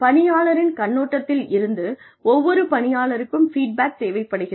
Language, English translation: Tamil, From the employee perspective, every employee requires feedback